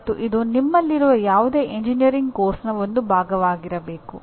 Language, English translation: Kannada, And this should be integral part of any engineering course that you have